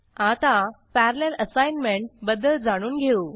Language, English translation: Marathi, Next, let us learn about parallel assignment